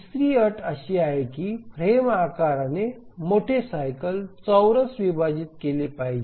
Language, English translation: Marathi, The third condition is that the frame size must squarely divide the major cycle